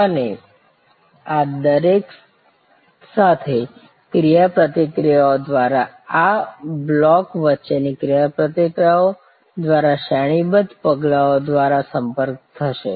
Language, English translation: Gujarati, And this will be link through a series of steps through interactions with each of these, through interactions between these blocks and among these blocks